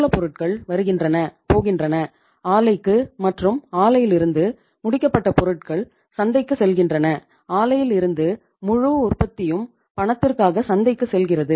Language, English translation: Tamil, Raw material coming, going to the plant, and from the plant the finished product is going to the market and entire production from the plant is going to the market on cash